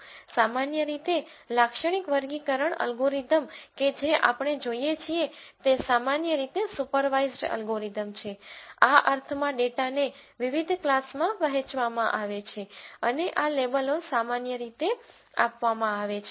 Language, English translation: Gujarati, In general, typical classification algorithms that we see are usually supervised algorithms, in the sense that the data is partitioned into different classes and these labels are generally given